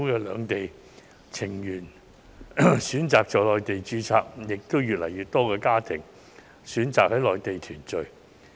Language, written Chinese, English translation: Cantonese, 兩地情緣選擇在內地註冊的，為數也不少，而且越來越多中港家庭選擇在內地團聚。, There are also many Mainland - HKSAR couples who have chosen to register their marriages in the Mainland and more and more Mainland - HKSAR families have chosen Mainland as the place for family reunion